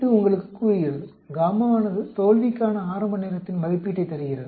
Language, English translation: Tamil, It tells you gamma gives an estimate of the earliest time to failure